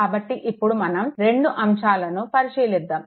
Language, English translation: Telugu, So now, let us examine the 2 cases